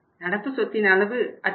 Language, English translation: Tamil, Level of the current assets will go up